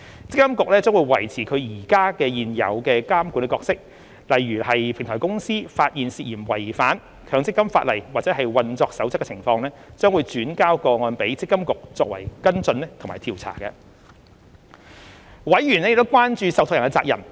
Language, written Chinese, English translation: Cantonese, 積金局將維持其現有的監管角色，如平台公司發現涉嫌違反強積金法例或運作守則的情況，將轉交個案予積金局作跟進或調查。委員亦關注受託人的責任。, MPFA will continue to perform its oversight role and suspected cases of non - compliance identified by the Platform Company will be referred to MPFA for follow - up or investigation Members have also expressed concern about the responsibilities of trustees